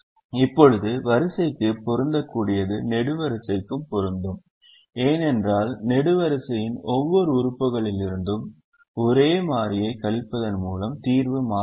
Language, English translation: Tamil, now what is applicable to the row is also applicable to the column, because subtracting the same constant from every element of the column will not change the solution